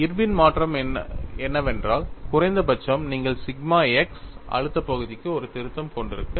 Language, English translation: Tamil, The Irwin’s modification is at least, you should have a correction to sigma x stress term